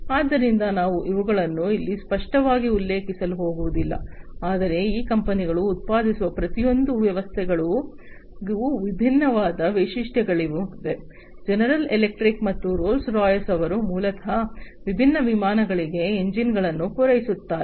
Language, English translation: Kannada, So, I am not going to mention them over here explicitly, but these are the different features for each of the systems that are produced by these companies like general electric and Rolls Royce, who basically supply the engines for the different aircrafts